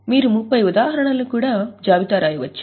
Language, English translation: Telugu, As I said, you can even list 30 examples